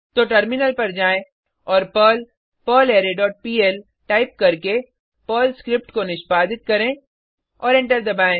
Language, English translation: Hindi, Then switch to the terminal and execute the Perl script by typing perl perlArray dot pl and press Enter